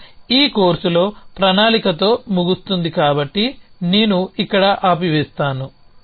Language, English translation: Telugu, And will end with planning in this course with that essentially so I will stop here